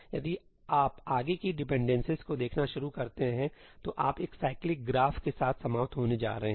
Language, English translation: Hindi, If you start looking at forward dependencies, you are going to end up with a cyclic graph